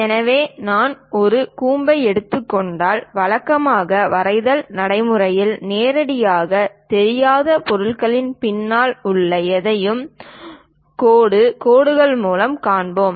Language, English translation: Tamil, So, if I am taking a cone, so, usually in drawing practice, anything behind the object which is not straightforwardly visible, we show it by dashed lines